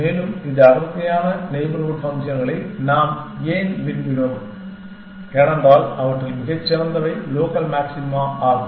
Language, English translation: Tamil, And why did we want denser neighborhood functions because, it is likely that the best amongst them is the local maxima essentially